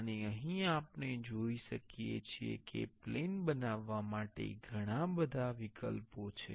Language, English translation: Gujarati, And here we can see there are a lot of options to make planes